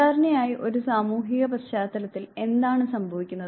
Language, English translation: Malayalam, Usually what happens in a socially context